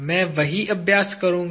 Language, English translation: Hindi, I will do the same exercise